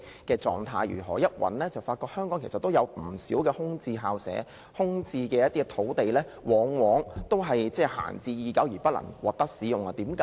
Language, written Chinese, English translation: Cantonese, 當他們搜尋有關資料時，發覺香港原來有不少空置校舍及空置土地，而且往往閒置已久而未獲使用。, In their search of related information they found that Hong Kong has quite many vacant school premises and vacant sites and many of them have been left idle or unused